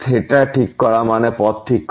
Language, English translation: Bengali, Fixing theta means fixing the path